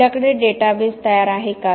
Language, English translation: Marathi, Do we have a database that is ready